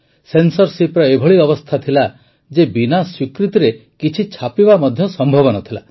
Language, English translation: Odia, The condition of censorship was such that nothing could be printed without approval